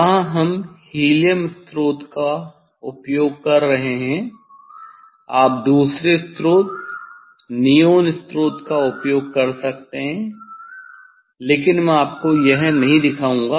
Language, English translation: Hindi, here we are using helium source, you can use another source neon source but, I will not show you this one